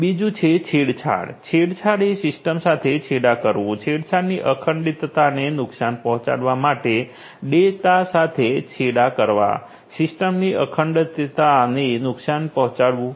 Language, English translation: Gujarati, Second is tampering; tampering means tampering with the system tampering with the data to hurt the integrity of the data, to hurt the integrity of the system